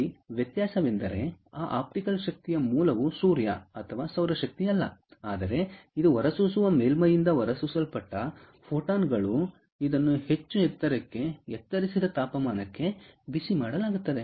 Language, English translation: Kannada, the difference here is that the source of that optical energy is not sun or solar energy, but it is photons that are emitted from an emitter surface which is heated to a highly elevated, into an elevated temperature